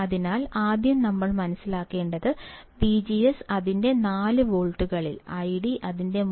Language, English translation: Malayalam, So, first we should understand that V G S on its 4 volts, I D on its 3